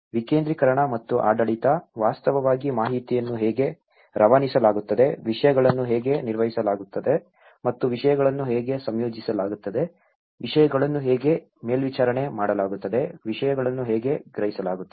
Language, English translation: Kannada, Decentralization and the governance, which actually, how the information is passed out, how things are managed and how things are coordinated, how things are supervised, how things are perceived